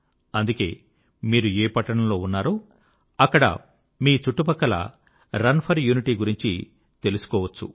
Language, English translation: Telugu, And so, in whichever city you reside, you can find out about the 'Run for Unity' schedule